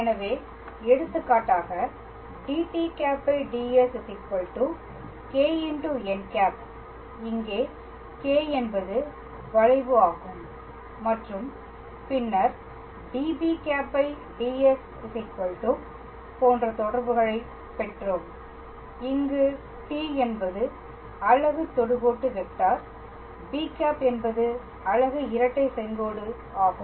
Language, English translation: Tamil, So, for example, we obtained relations like dt ds equals to Kappa n where Kappa is the curvature and then we obtained relations like db ds equals 2, where t is the unit tangent vector b is the unit binormal